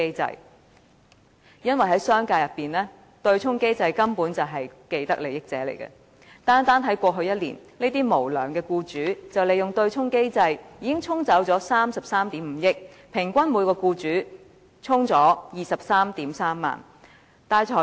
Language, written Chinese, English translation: Cantonese, 反對的原因，是商界根本是對沖機制的既得利益者，單單在過去一年，這些無良僱主利用對沖機制，已經對沖了33億 5,000 萬元，平均每名僱主對沖了 233,000 元。, The reason for the opposition is that the business sector can actually get vested interests from the offsetting mechanism . Last year alone unscrupulous employers exploited the offsetting mechanism to offset 3.35 billion . In other words each employer has offset 233,000 on average